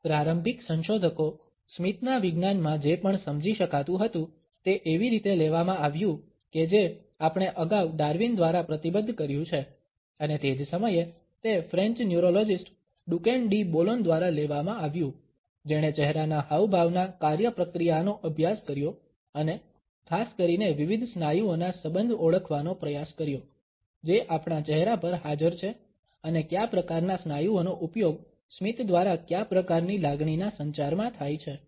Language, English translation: Gujarati, Initial researchers into what can be understood is a science of a smiles were taken up as we have committed earlier by Darwin and at the same time, they were taken up by the French neurologist Duchenne de Boulogne, who had studied the mechanics of facial expressions and particularly had tried to identify that association of different muscles which are present on our face and what type of muscles are used in which type of emotion communication through our smiles